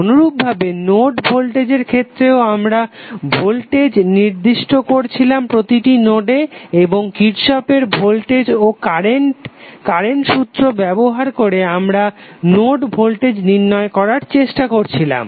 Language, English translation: Bengali, Similarly, a node voltage we were assigning voltage at the node and using Kirchhoff’s voltage and current law we were trying to identify the node voltage value